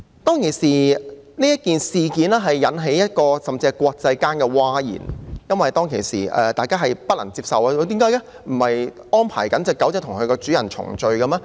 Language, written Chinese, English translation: Cantonese, 這件事當時甚至引致各國譁然，因為大家都不能接受，說不是正安排小狗與主人重聚的嗎？, This incident even caused an international uproar because all people found this unacceptable . Was it not said that arrangements were being made for the puppy to be reunited with its owner?